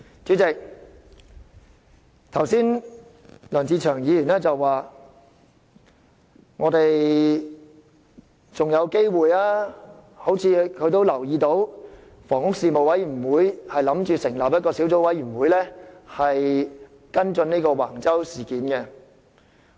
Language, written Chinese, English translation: Cantonese, 主席，梁志祥議員剛才說我們還有機會，因為房屋事務委員會打算成立一個小組委員會跟進橫洲事件。, President Mr LEUNG Che - cheung said just now that we still have a chance to right the wrong because the Panel on Housing will set up a subcommittee to follow up the issues related to the Wang Chau development project